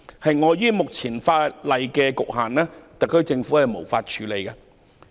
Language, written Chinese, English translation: Cantonese, 基於現行法例的局限，特區政府無法處理這項要求。, Owing to the limitations under the existing legislation the HKSAR Government cannot deal with this request